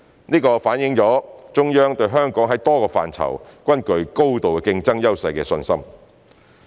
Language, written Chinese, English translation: Cantonese, 這反映中央對香港在多個範疇均具高度競爭優勢的信心。, This demonstrates the Central Authorities confidence over Hong Kongs strong competitive edge in various areas